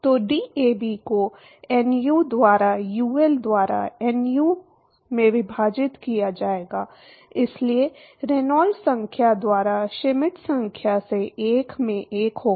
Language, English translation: Hindi, So, there will be DAB divided by nu into nu by UL, so there will be 1 by Schmidt number into 1 by Reynolds number